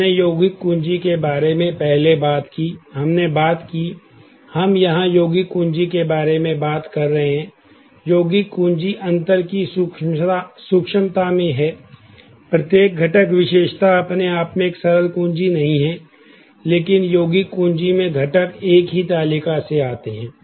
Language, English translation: Hindi, We talked about composite key; earlier, we talked up; we are talking about compound key here, the subtlety of the difference is in a composite key, every component attribute is not a simple key by itself, but and the components come from the same table in a compound key